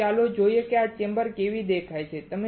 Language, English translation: Gujarati, So, let us see how this chamber looks like